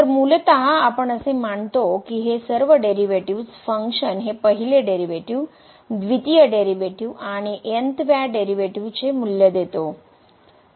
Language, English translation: Marathi, So, what we assume basically that all these derivatives, the function value itself the first derivative, the second derivative, and th derivative they all are equal to this derivative of the polynomial